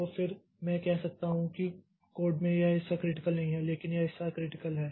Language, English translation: Hindi, , then I can say that in this part of the code is not critical but this is this part is critical and this part is critical